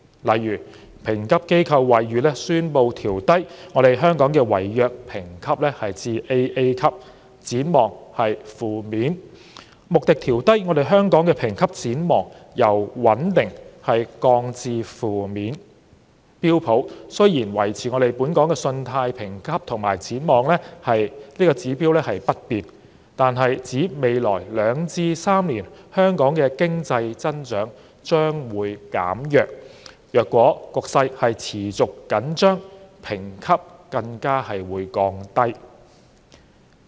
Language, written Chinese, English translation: Cantonese, 例如，評級機構惠譽國際宣布調低香港的違約評級至 "AA"， 展望為"負面"；穆迪調低香港的評級展望，由"穩定"降至"負面"；標準普爾雖然維持本港信貸評級及展望指標不變，但指出在未來兩至3年香港的經濟增長將會減弱，如果局勢持續緊張，評級更會降低。, For instance rating agency Fitch has downgraded Hong Kongs default rating to AA with a negative outlook; Moodys has downgraded Hong Kongs rating outlook from stable to negative; Standard Poors maintained Hong Kongs credit rating and outlook index but pointed out that Hong Kong economy will weaken in the next two to three years . The rating will be lowered if the tensions persist